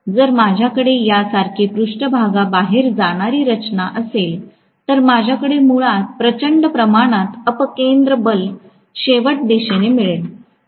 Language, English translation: Marathi, If it is having a protruding structure like this, I will have basically huge amount of centrifugal forces acting towards the ends